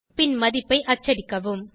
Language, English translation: Tamil, And print the value